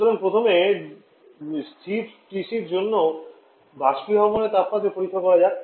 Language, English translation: Bengali, So first let us check the evaporation temperature for constant TC